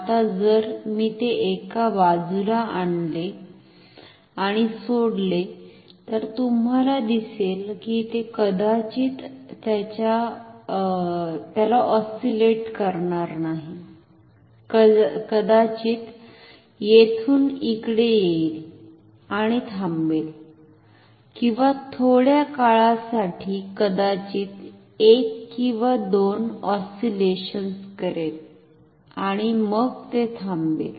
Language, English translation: Marathi, Now, if I bring it to one side and leave it, you will see that it will probably not oscillate it, will probably just come from here to here and stop or it may oscillate, but for a shorter time, maybe for one or two oscillation and then it stops